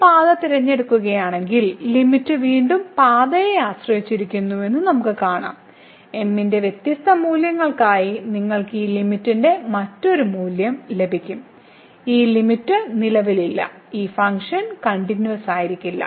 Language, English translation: Malayalam, So, again we see that if we choose this path, then the limit depends on the path again; for different values of you will get a different value of this limit and therefore, this limit does not exist and hence this function is not continuous